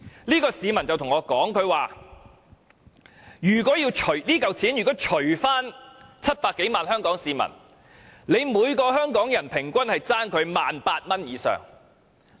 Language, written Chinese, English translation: Cantonese, 這名市民對我說，如果把這筆款項除以700多萬名香港市民，政府便欠每名香港人平均 18,000 元以上。, This member of the public told me that if the difference was shared by all the 7 million or so people in Hong Kong the Government owed each Hong Kong person 18,000 or even more